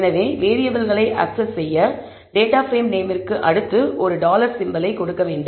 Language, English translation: Tamil, So, in order to access the variables, I need to give the name of the data frame followed by a dollar symbol